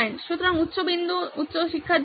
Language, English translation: Bengali, So, the high point is high learning retention